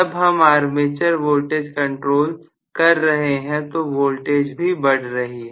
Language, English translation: Hindi, Armature voltage control if I am doing, voltage is also increasing